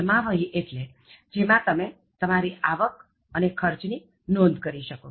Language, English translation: Gujarati, A balance sheet in which you are able to note your income and expenditure